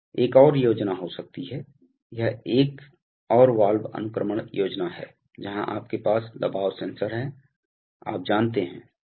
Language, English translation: Hindi, There may be another scheme, this is another valve sequencing scheme where you have a pressure sensor, you know